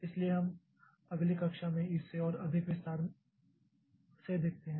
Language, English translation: Hindi, So we'll look into this in more detail in the next class